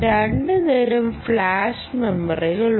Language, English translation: Malayalam, now there are two types of flash memories in the flash memory technology